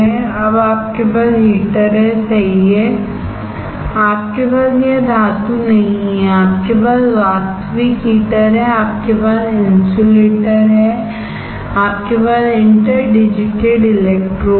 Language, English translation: Hindi, Now what you have you have heater right, you do not have this metal you have actual heater, you have insulator, you have interdigitated electrodes